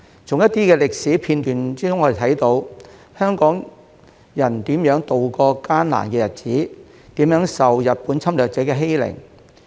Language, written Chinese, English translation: Cantonese, 從一些歷史片段中，我們看到香港人如何渡過艱難的日子，如何受日本侵略者的欺凌。, From some of the historical footage we can see how Hong Kong people endured the difficult times and oppressed by the Japanese invaders